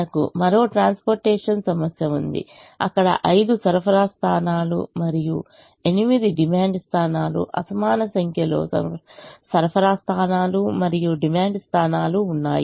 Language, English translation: Telugu, we could have another transportation problem where there could be five supply points and eight demand points, unequal number of supply points and demand points